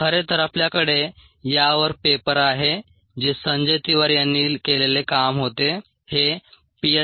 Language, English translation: Marathi, we have ah paper on this, which was the work was a done by sanjay tiwari